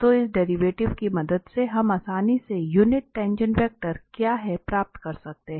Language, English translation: Hindi, So with the help of this the derivative, we can easily get what is the unit tangent vector